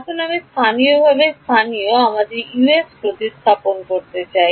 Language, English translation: Bengali, Now I want to replace the local Us by global